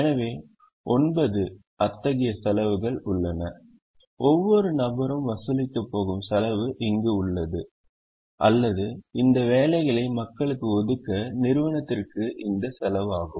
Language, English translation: Tamil, there is a cost that each person is going to charge or its going to cost the organization to allocate these jobs to people